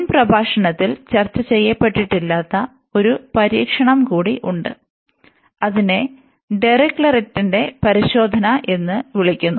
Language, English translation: Malayalam, Now, we have one more test, which was not discussed in the previous lecture that is called the Dirichlet’s test